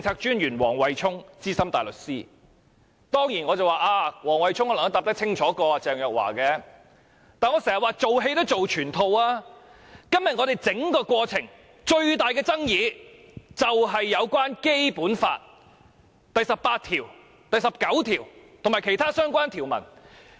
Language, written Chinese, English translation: Cantonese, 當然，黃惠沖的回答比鄭若驊更清楚，但我經常說，"做戲要做全套"，今天我們整個過程最大的爭議便是關於《基本法》第十八條、第十九條及其他相關條文。, Certainly Mr Wesley WONGs replies are more lucid than that of Ms Teresa CHENG . Nevertheless I always say that one should complete the whole show . The biggest controversy in the entire process is about Articles 18 and 19 of the Basic Law and other relevant provisions